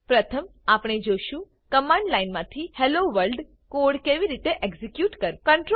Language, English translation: Gujarati, First let us see how to execute the Hello World code from command line